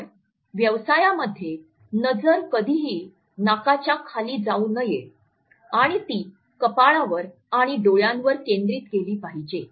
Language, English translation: Marathi, So, the business case should never go beneath the nose and it should be focused on the forehead and eyes